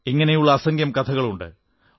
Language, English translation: Malayalam, Stories like these are innumerable